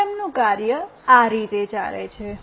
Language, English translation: Gujarati, The working of the system goes like this